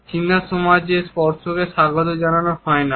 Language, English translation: Bengali, Touch is not welcome in the Chinese society